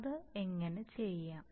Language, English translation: Malayalam, Now how to do that